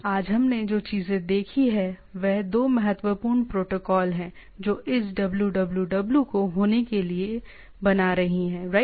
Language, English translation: Hindi, The thing what we have seen today is two important protocol right which one is making this www to happen right